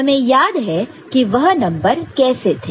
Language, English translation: Hindi, We remember that and how the numbers were there